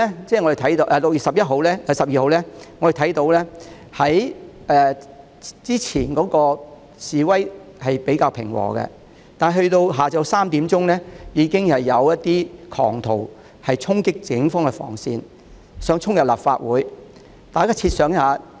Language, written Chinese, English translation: Cantonese, 在6月12日，我們看到早段的示威較為平和，但到了下午3時，已經有部分狂徒衝擊警方防線，企圖衝入立法會。, On 12 June we noticed that the protesters were relatively peaceful at the earlier stage . By 3col00 pm some of the maniacs charged at the cordon line of the Police and the Legislative Council Complex to try to gain entry